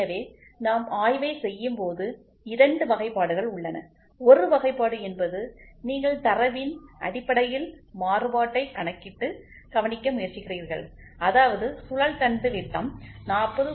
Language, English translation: Tamil, So, here we would like when we do the inspection there are two classifications, one classification is you try to measure and note down the variation in terms of data; that means, to say the shaft diameter is 40